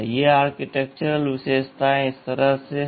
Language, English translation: Hindi, This architectural featuresThese architectural features are like this